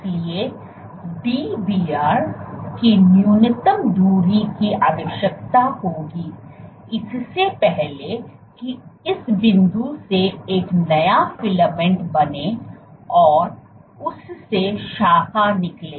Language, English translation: Hindi, So, you need a minimum distance of Dbr before a new filament can form and branch from this point